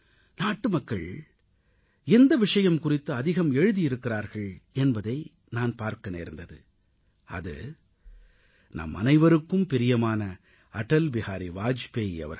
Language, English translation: Tamil, The subject about which most of the people from across the country have written is "Our revered AtalBehari Vajpayee"